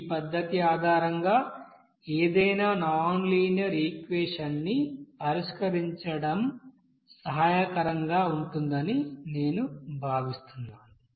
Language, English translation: Telugu, So I think it will be helpful to solve any nonlinear equation based on this method